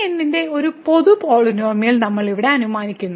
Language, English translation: Malayalam, So, we assume here a general polynomial of degree